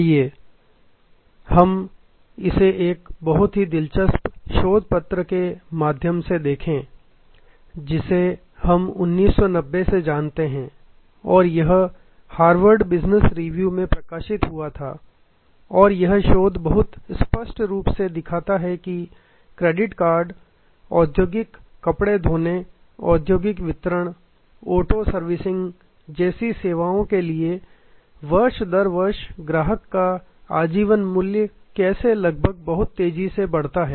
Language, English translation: Hindi, Let us look at this a very interesting research paper that we know right from 1990 and this was published in Harvard business review and this research very clearly shows that for services like credit card, industrial laundry, industrial distribution, auto servicing, how year upon year the life time value of the customer increases almost exponentially